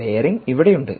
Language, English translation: Malayalam, the bearing is right here